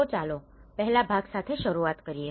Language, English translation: Gujarati, So let’s start with the part one